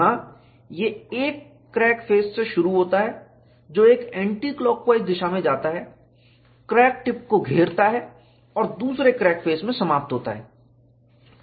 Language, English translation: Hindi, Here, it starts from one crack face, goes in an anticlockwise direction, encloses the crack tip and ends in the other crack face